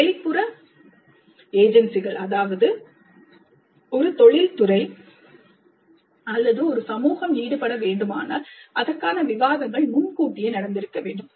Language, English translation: Tamil, And if external agencies are to be involved, either an industry or a community, then the discussions with external agencies must happen again well in advance